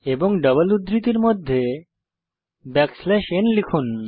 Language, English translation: Bengali, And within the double quotes type \n